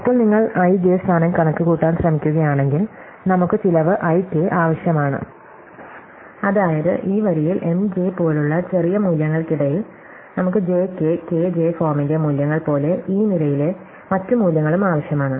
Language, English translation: Malayalam, And now if you are trying to compute the position i j, then we will need cost i k, that is in this row we will need values between for smaller values than j and we will need values of the form j k, k j in other in this column